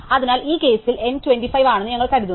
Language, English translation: Malayalam, So, we have assumed in this case say that N is 25